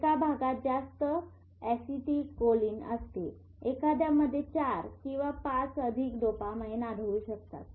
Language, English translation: Marathi, One area has more astelcholine, one has more, four or five of them have more dopamine